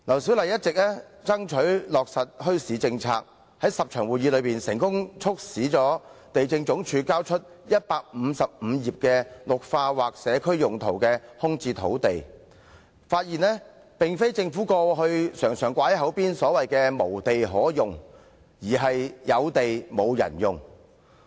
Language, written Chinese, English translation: Cantonese, 她一直爭取落實墟市政策，在這10次會議期間，她成功地促使地政總署交出155頁有關"綠化或其他社區用途的空置土地"的資料，發現情況並非像政府過去經常掛在口邊般"無地可用"，而是"有地沒有人用"。, She has been striving for the implementation of a policy on bazaars . During those 10 meetings she managed to get the Lands Department release 155 pages of information on vacant lands for greening or other community purposes . It was found that the situation was not that no lands were available as always claimed by the Government in the past but lands available were not put to use